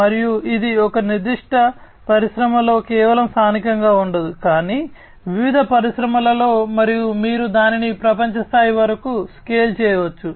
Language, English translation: Telugu, And this is not going to be just local within a particular industry, but across different industry, and also you can scale it up to the global level